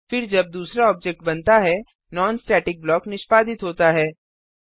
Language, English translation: Hindi, Then again when the second object is created, the non static block is executed